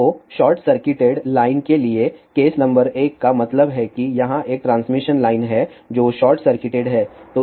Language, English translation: Hindi, So, the case number one for a short circuited line so that means, there is a transmission line over here which is short circuited